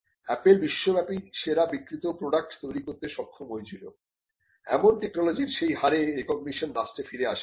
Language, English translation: Bengali, There is not much that is gone back to the state to as a rate in recognition of the technologies on which apple was able to build a world class best selling product